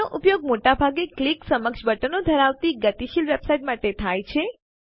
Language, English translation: Gujarati, It is used for most of the dynamic website with forms that have click able buttons